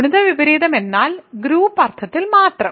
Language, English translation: Malayalam, So, multiplicative inverse means just in the group sense